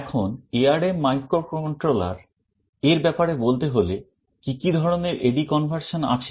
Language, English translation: Bengali, Now, talking about the ARM microcontrollers, what kind of A/D conversion facilities are there